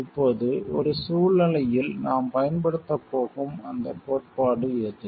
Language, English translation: Tamil, Now, given a situation which is that theory that we are going to use